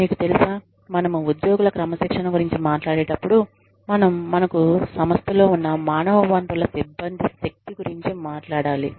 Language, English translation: Telugu, You know, when we talk about disciplining employees, we talk about the power, we have as human resources personnel, over the employees, that are in the organization